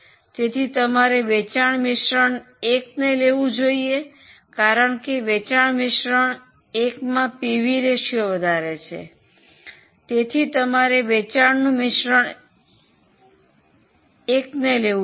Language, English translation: Gujarati, So, you would prefer sales mix 1 and by PV ratio, pv ratio is higher for sales mix 1 and by PV ratio is higher for sales mix 1 so you prefer sales mix 1